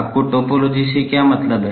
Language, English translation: Hindi, What do you mean by topology